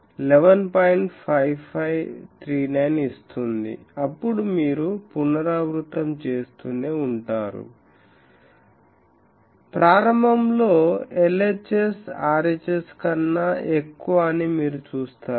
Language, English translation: Telugu, 5539, then you go on doing the iteration you will see that initially the LHS is greater than RHS